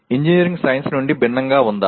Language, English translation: Telugu, Is engineering different from science